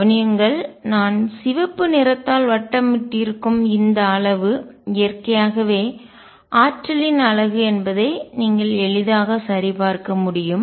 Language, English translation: Tamil, Notice that naturally this quantity which I am encircling by red is unit of energy you can easily check that